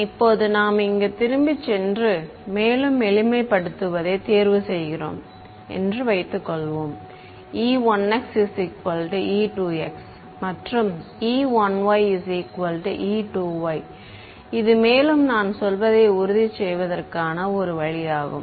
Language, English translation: Tamil, Now let us go back over here supposing we choose we make a further simplification choose e 1 x is equal to e 2 x and e 1 y is equal to e 2 y right that is the one way of making sure I mean